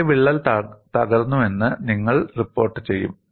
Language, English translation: Malayalam, And then, you would report which crack has broken